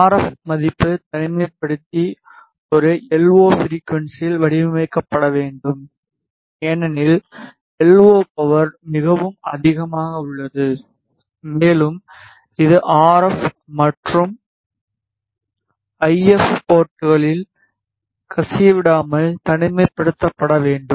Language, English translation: Tamil, The RF value isolator has to be designed at a LO frequency because LO power is quite high and which should be isolated from leaking into the RF and the if ports